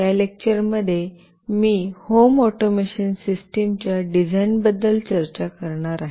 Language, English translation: Marathi, In this lecture, I will be discussing about the design of a Home Automation System